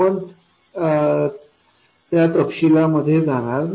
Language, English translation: Marathi, We won't go into those details